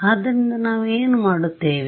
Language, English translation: Kannada, So, what will we do